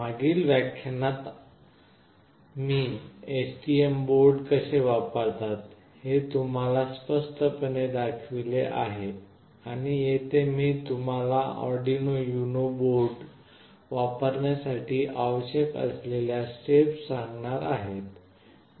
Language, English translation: Marathi, In the previous lectures I have specifically shown you how we will be using STM board and here I will take you through the steps that are required to use Arduino UNO board, which is again fairly very straightforward